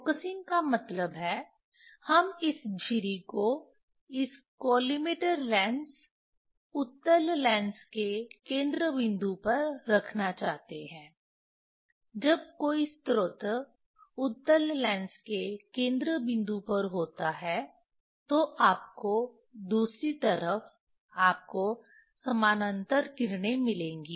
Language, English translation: Hindi, Focusing means, we want to put this slit the source at the focal point of the of the of this collimator lens, convex lens, Vernier that when a source is at a focal point of a convex lens, then you will get other side you will get parallel rays